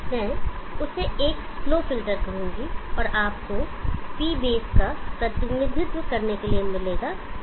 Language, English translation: Hindi, I will call that one is slow filter and you will get PB to represent P base